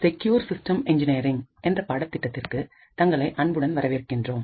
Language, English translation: Tamil, Hello and welcome to this lecture in a course for Secure Systems Engineering